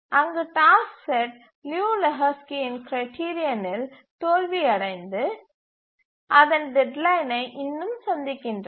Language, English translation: Tamil, There are a task set fails Liu Lejou Lehchki's test and still meet its deadlines